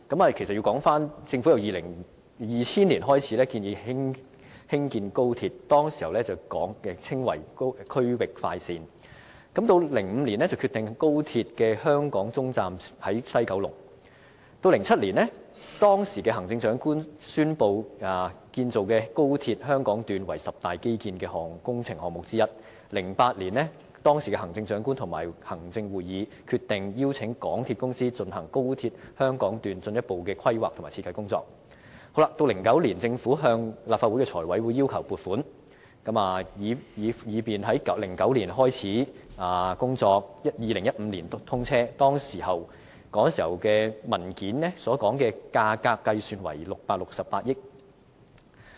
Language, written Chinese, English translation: Cantonese, 其實要回溯至2000年，當年政府開始建議興建高鐵，那時候稱為"區域快線 "；2005 年決定高鐵的香港終站設在西九龍 ；2007 年，當時的行政長官宣布建造的高鐵香港段為十大基建工程項目之一 ；2008 年，當時的行政長官會同行政會議決定邀請港鐵公司進行高鐵香港段進一步的規劃和設計工作 ；2009 年，政府向立法會財務委員會要求撥款，以便工程可在2009年開始，在2015年通車，其時文件所述的價格計算為668億元。, In 2007 the Chief Executive announced that the Hong Kong Section of XRL to be constructed would be one of the ten major infrastructural projects . In 2008 the Chief Executive - in - Council decided to invite the MTR Corporation Limited MTRCL to undertake the further planning and designing work on the Hong Kong Section of XRL . In 2009 the Government submitted a funding application to the Finance Committee FC of the Legislative Council so that the project could commence in 2009 and be commissioned in 2015